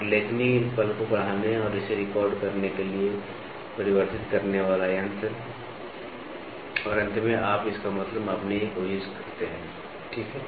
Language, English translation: Hindi, And amplifying device for magnifying the stylus moment and record it and finally, you try to measure the mean of it, ok